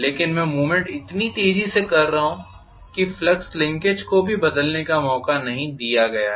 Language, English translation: Hindi, But I am doing the movement so fast, that the flux linkage is not even given a chance to change